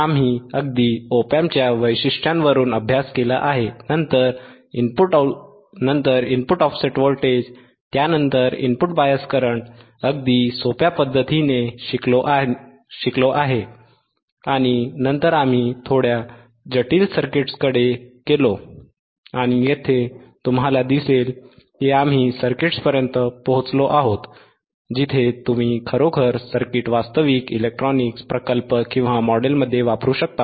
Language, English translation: Marathi, We have studied just from characteristics of op amp, just input offset voltage, input bias current, very simple right and then we move to little bit complex circuits and here you see that we have reached to the circuits where you can really use the circuit in some actual electronic module